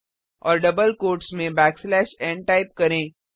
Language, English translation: Hindi, Within double quotes, type backslash n